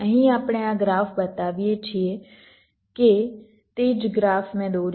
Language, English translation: Gujarati, ah, here we show this graph, that same graph i had drawn